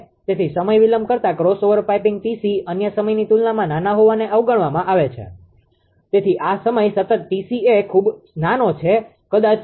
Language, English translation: Gujarati, So, but time delaying crossover piping T c being small as compared to other time constant is neglected so, this time constant T c is very small right maybe 0